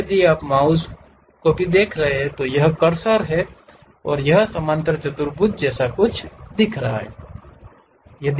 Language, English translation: Hindi, Now, if you are seeing even the mouse it itself the cursor level it shows something like a parallelogram